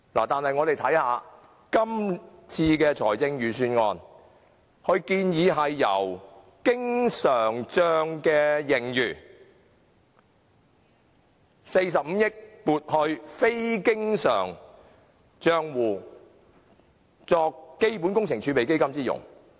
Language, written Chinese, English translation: Cantonese, 但是，今次的財政預算案建議把經常帳的45億元盈餘撥入非經常帳戶，以作為基本工程儲備基金之用。, However this Budget suggests transferring the surplus of 4.5 billion in the current account to the capital account for the use of the Capital Works Reserve Fund CWRF